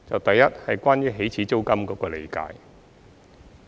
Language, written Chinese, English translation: Cantonese, 第一是關於起始租金的理解。, The first one is about the understanding of the initial rent